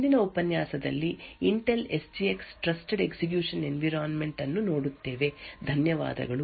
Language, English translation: Kannada, In the next lecture will look at the Intel SGX trusted execution environment, thank you